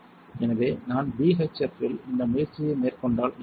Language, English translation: Tamil, So, if I did this effort in BHF what will happen